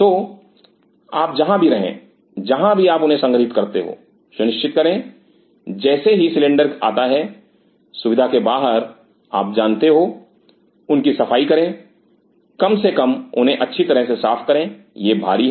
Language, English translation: Hindi, So, wherever you stay wherever you store them ensure as soon as the cylinder arrives from the facility you know clean them up at least mop them down properly it is heavy